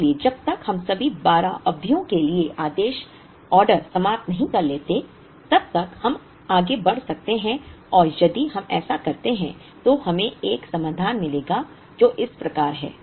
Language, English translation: Hindi, So, like that we can proceed till we finish orders for all the 12 periods and if we do so we would get a solution which is like this